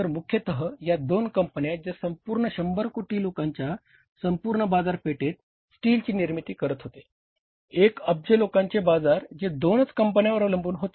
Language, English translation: Marathi, So largely largely these were the two companies who were manufacturing steel and the entire market of means 100 crore people, 1 billion people's market that was dependent upon the two companies